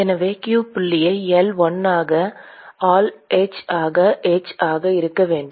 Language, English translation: Tamil, Therefore, q dot into L1 into A should be equal to h into A